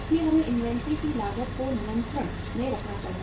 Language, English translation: Hindi, So we will have to keep the cost of uh inventory under control